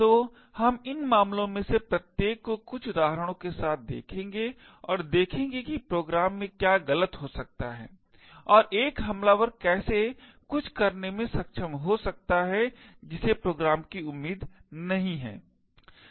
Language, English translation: Hindi, So, we will look at each of these cases with some examples and see what could go wrong in the program and how an attacker could be able to do something which is not expected of the program